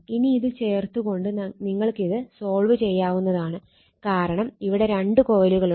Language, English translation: Malayalam, Now you can solve it by putting this thing because 2 coils are there right